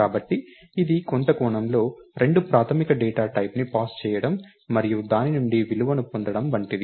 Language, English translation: Telugu, So, this in some sense is similar to passing two basic data types and getting a value out of it